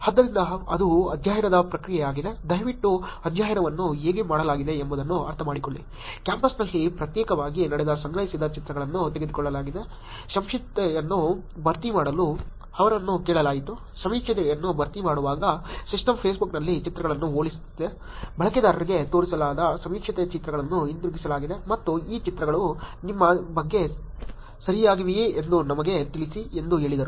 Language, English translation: Kannada, So, that is the process of the study, please understand how the study was done, collected pictures were taken individually walking in campus, they were asked to fill the survey, while filling the survey the data the system was comparing the pictures on Facebook, pictures were brought back to the survey showed to the user and saying tell us if these pictures are right about you